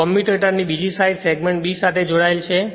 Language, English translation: Gujarati, Another side of the commutator connected to segment side b right